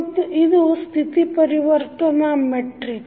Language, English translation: Kannada, What is a State Transition Matrix